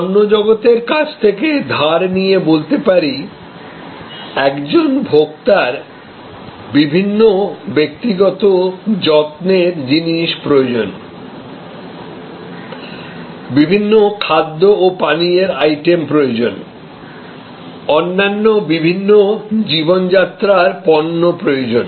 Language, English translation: Bengali, To borrow from the product world, a customer, a consumer needs various personal care products, needs various food and beverage items, needs various other lifestyle products